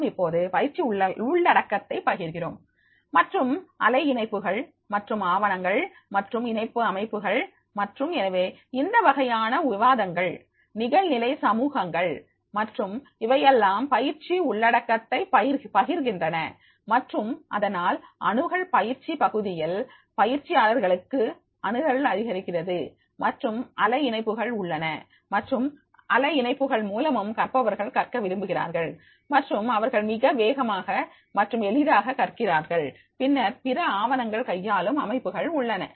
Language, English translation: Tamil, Now here and they share the training content and web links and documents handling systems and therefore this type of the discussions, online communities and all they are sharing the training content and therefore the access to the trainees in the training area that is and the web links are there and through web links also the learners they want to learn and they learn very fast and easily